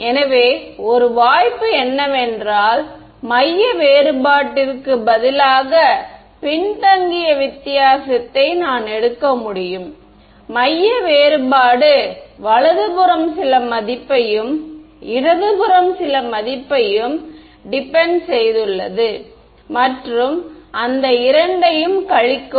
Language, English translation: Tamil, So, one possibility is that I can take a backward difference instead of a centre difference; centre difference depends on some value to the right and some value to the left and subtract those two